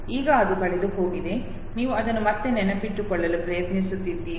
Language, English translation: Kannada, Now it is lost you are again trying to memories it